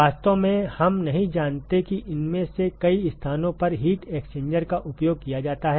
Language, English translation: Hindi, In fact, we do not know that heat exchanger is used in several of these places